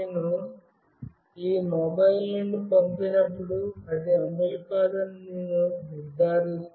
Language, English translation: Telugu, Now, I will make sure that I will when I send it from this mobile, this will not run